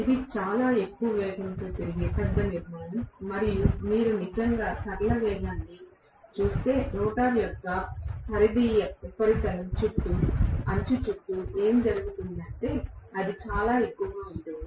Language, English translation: Telugu, If it is a large structure rotating at a very high speed and if you actually look at the linear velocity what is going on around the rim of or around the peripheral surface of the rotor that is going to be enormously high